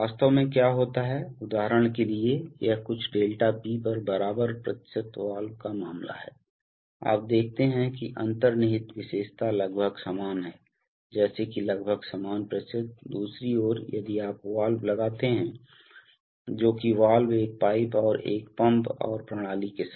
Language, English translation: Hindi, In effect what happens is that, for example this is the case of an equal percentage valve at some ∆P, so you see that the inherent characteristic is almost like a, like an equal percentage nearly, on the other hand if you put the valve, that valve into along with a pipe and a pump and a system